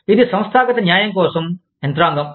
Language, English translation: Telugu, It is the mechanism for, organizational justice